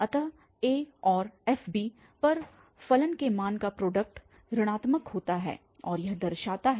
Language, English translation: Hindi, So, the product of the value of the function at a and f at b is negative and that indicates that